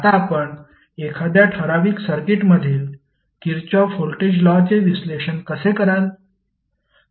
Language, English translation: Marathi, Now, how you will analyze the Kirchhoff voltage law in a particular circuit